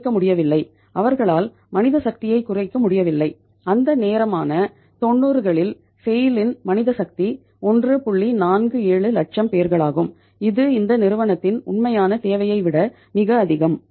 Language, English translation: Tamil, 47 lakh people which was far more than the actual requirement of this company